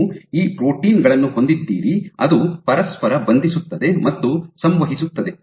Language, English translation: Kannada, So, you have these proteins which kind of bind interact, bind and interact with each other